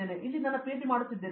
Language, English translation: Kannada, I am doing my PhD here